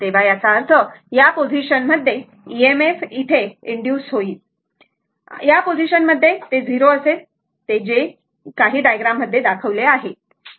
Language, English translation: Marathi, So that means, at this position that EMF induced at this position will be 0, it is that is whatever in the diagram it is shown